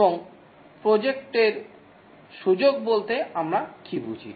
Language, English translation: Bengali, And what do we mean by project scope